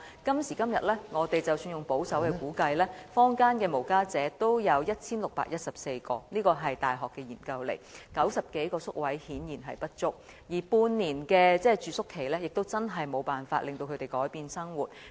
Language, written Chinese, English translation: Cantonese, 今時今日，即使根據保守估計，坊間的無家者共有1614人——這是大學的調查結果 ——90 多個宿位顯然不足，而半年的住宿期亦無法令他們改變生活。, At present according to the finding of a university study there are a total of 1 614 homeless people in the community which is already a conservative estimate . Clearly 90 - odd places are insufficient to meet the need . Moreover a maximum stay of six months can hardly give street sleepers enough time to change their lifestyle